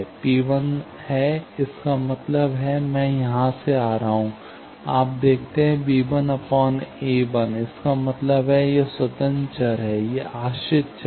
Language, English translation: Hindi, P 1 is, that means, I am coming from, you see, b 1 by a 1; that means, this is independent variable, this is dependent variable